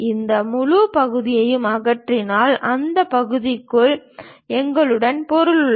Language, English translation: Tamil, If we remove this entire part; then we have material within that portion